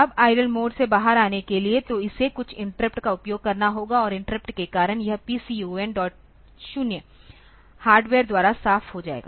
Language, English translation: Hindi, Now, to come out of the idle mode; so, it has to use some interrupt and interrupt will cause this PCONs dot 0 to be cleared by hardware